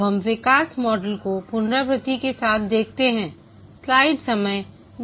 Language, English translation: Hindi, Now let's look at the evolutionary model with iteration